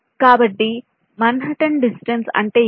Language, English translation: Telugu, so what is manhattan distance